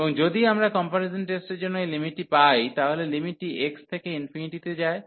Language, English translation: Bengali, And if we get this limit for the comparison test, so the limit x goes to infinity